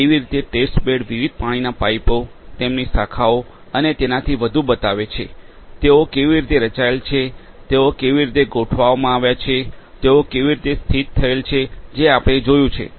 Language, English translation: Gujarati, How the test bed showing the different water pipes, their branches and so on; how they have been structured; how they have been organized; how they have been located so we have seen that